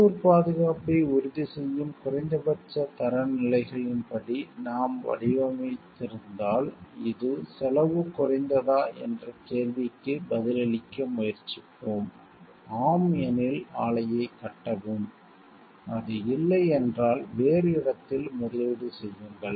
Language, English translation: Tamil, If we are designing according to decide on minimal standards that will ensure local safety, and we try to answer the question is this cost effective, then if it is yes then build a plant if it is no then invest elsewhere